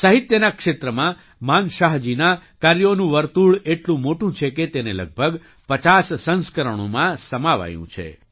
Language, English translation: Gujarati, The scope of Manshah ji's work in the field of literature is so extensive that it has been conserved in about 50 volumes